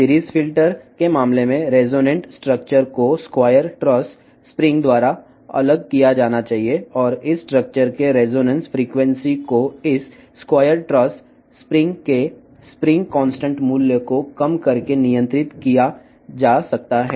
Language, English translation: Telugu, In case of series filters, the the resonant structures should be separated by the square tressed spring and the resonance frequency of this structure can be controlled by lowering the spring constant value of this square tressed spring